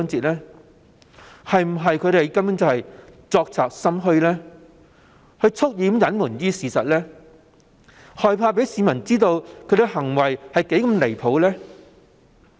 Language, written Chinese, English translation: Cantonese, 他們是否作賊心虛，蓄意隱瞞事實，害怕讓市民知道他們的行為是多麼的離譜？, Did they deliberately conceal the truth out of guilty conscience and the fear of letting the public know how outrageous their actions had been?